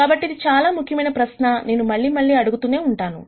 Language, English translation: Telugu, So, this is a very important question that we will keep asking again and again